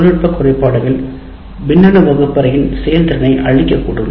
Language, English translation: Tamil, Any of those technology glitches can completely destroy the effectiveness of the electronic classroom